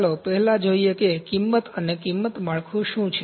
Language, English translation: Gujarati, Let us first see, what are the cost and price structures